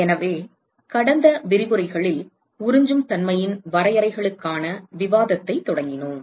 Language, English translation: Tamil, So, we initiated discussion in the last lectures for definitions of absorptivity